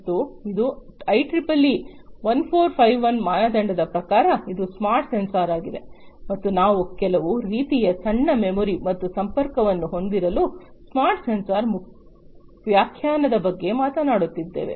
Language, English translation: Kannada, And this is as per the IEEE 1451 standard, so this is a smart sensor and we are talking about the definition of a smart sensor having some kind of small memory and some connectivity, you know, attached to it